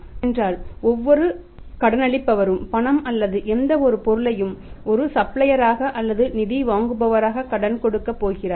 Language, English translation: Tamil, Because every lender who is going to lend either money or any material as a supplier or as a lender of funds